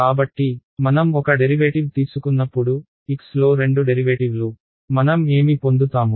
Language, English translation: Telugu, So, when I take a derivative, two derivatives in x, what will I get